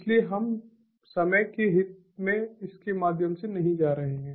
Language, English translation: Hindi, so we are not going to go through it in the interest of time